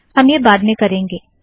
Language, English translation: Hindi, So we can also do this later